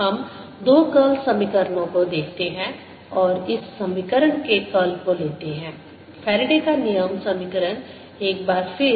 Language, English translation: Hindi, let us look at the two curl equations and take the curl of this equation, the faradays law equation